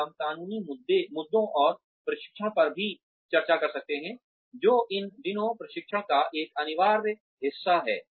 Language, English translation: Hindi, And, we can also discuss the legal issues and training, which is an essential part of training, these days